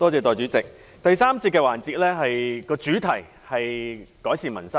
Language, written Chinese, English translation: Cantonese, 代理主席，第三個辯論環節的主題是"改善民生"。, Deputy President the theme of the third debate session is Improving Peoples Livelihood